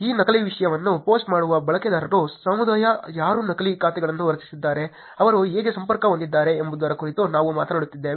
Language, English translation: Kannada, We also talked about how the community of users who are posting this fake content, who created fake accounts, how they are connected